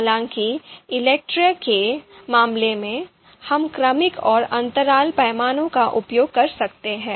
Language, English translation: Hindi, However in case of you know ELECTRE, we can use ordinal and interval scale